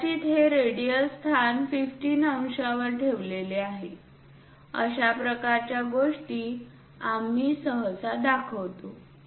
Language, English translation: Marathi, Perhaps this radial location it is placed at 15 degrees; such kind of things we usually show